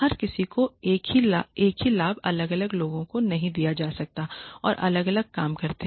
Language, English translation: Hindi, Everybody cannot be given the same benefit different people who work differently need to be given different benefits